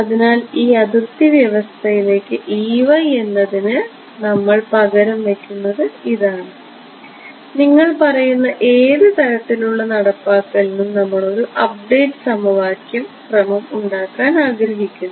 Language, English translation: Malayalam, So, this is what we will substitute for E y into this boundary condition and in any sort of what you call implementation we want to get an update equation order right